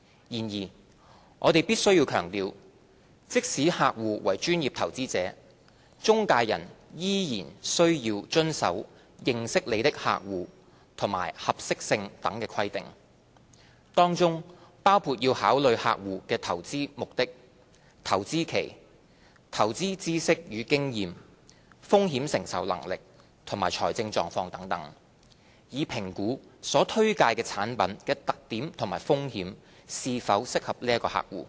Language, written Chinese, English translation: Cantonese, 然而，我們必須強調，即使客戶為專業投資者，中介人仍須遵守"認識你的客戶"及合適性等規定，當中包括要考慮客戶的投資目標、投資期、投資知識與經驗、風險承受能力及財政狀況等，以評估所推介產品的特點及風險是否適合該客戶。, Nonetheless it must be emphasized that even if a client is a professional investor an intermediary is still required to comply with certain requirements such as completing know - your - client procedures suitability assessment etc . The clients investment objectives investment horizon investment knowledge and experience risk tolerance and financial situation are among the factors that an intermediary has to take into account in assessing whether the characteristics and risk exposures of a recommended product are suitable for a client